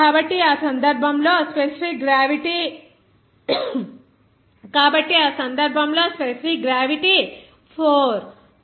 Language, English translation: Telugu, So, in that case, let us suppose specific gravity as 4, 25 is equal to 0